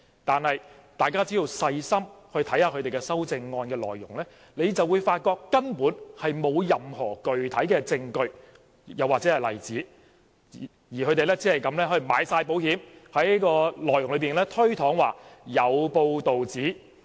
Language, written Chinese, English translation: Cantonese, 然而，大家只要細心看看修正案內容，就會發覺根本沒有提出任何具體證據或例子，他們只是"買保險"，在內容內推搪說"有報道指"。, However if we read carefully the contents of those amendments we will notice that these Members have not given any specific evidence or example . They have only sought to issue a disclaimer by using the phrase it has been reported in their amendments